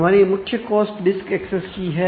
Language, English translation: Hindi, So, our main cost is a disk access